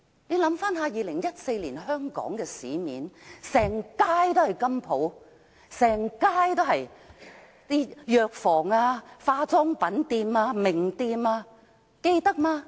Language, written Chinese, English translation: Cantonese, 回想2014年的香港，市面上隨處是金鋪、藥房、化妝品店和名店，大家還記得嗎？, In 2014 the streets were packed with goldsmith shops pharmacies as well as cosmetics and brand name shops do Members still remember that?